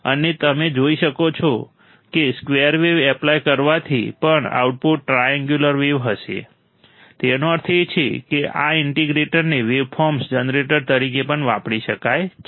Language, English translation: Gujarati, And you will be able to see that on applying the square wave the output will be triangular wave; that means, this integrator can also be used as a waveform generator